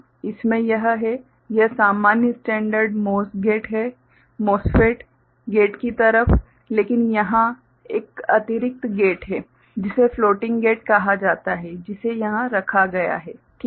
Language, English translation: Hindi, In this there is a this is the normal standard MOS gate – MOSFET, the gate side, but here there is an additional gate called floating gate that is put over here ok